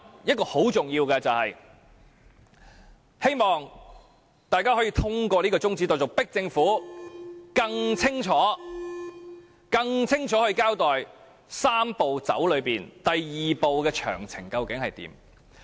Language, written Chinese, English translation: Cantonese, 此外，很重要的一點，就是希望大家可以通過這項中止待續議案，迫使政府更清楚地交代"三步走"中第二步的詳情究竟為何。, Besides another important point is that I hope we can pass this motion for adjournment of debate in order to force the Government to give a clearer account of the actual details of the second step in the Three - step Process